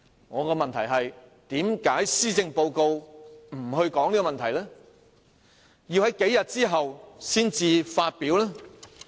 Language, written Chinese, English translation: Cantonese, 我的問題是，為何施政報告不談及這問題，要在數天後才作出公布？, My query is why the Policy Address did not talk about this matter and the announcement was not made until a few days later